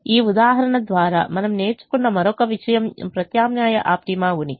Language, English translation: Telugu, the other thing we learnt through this example is the presence of alternate optima